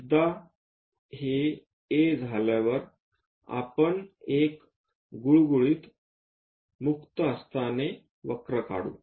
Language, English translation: Marathi, So, once it is done from A, we we will draw a smooth freehand curve